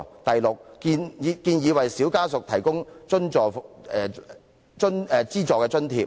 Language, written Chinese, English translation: Cantonese, 第六，我們建議為"小家屬"提供資助津貼。, Sixth we propose providing subsidies to children of the mentally ill